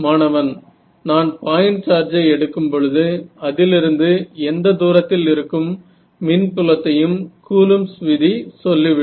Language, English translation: Tamil, If I take if I take point charge what is the electric field far at any distance away from it Coulomb's law tells me